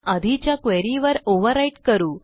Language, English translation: Marathi, For now, let us overwrite it on the previous query